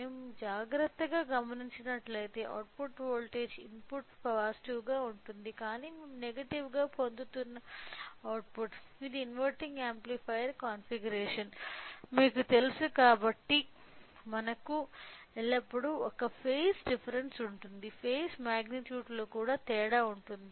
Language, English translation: Telugu, So, if we observe carefully the output voltage input is a positive, but the output we are getting in the negative which indicates that because of you know inverting amplifier configuration we will always have a phase a difference, a difference in the phase magnitude